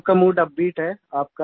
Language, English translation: Hindi, Everyone's mood is upbeat